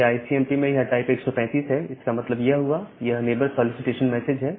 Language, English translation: Hindi, So, in the ICMP message it is type 135; that means, it is a neighbor solicitation message